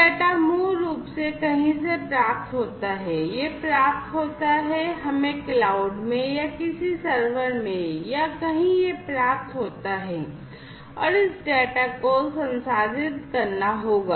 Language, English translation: Hindi, So, the data basically are received at somewhere, it is received let us say in the cloud or in some server or somewhere it is received, and this data will have to be processed, right